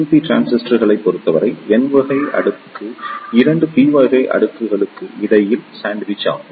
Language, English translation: Tamil, In case of PNP transistors, n type of layer is sandwich between 2 p type of layers